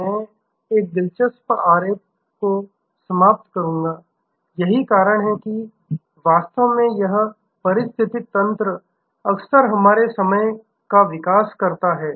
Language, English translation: Hindi, I will end one interesting diagram, that is how actually this ecosystem often develop our time